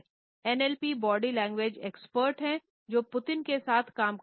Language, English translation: Hindi, NLP is the body language expert who is worked with Putin